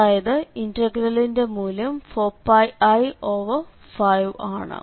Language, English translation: Malayalam, So, the final value of this integral is 4 Pi i by 5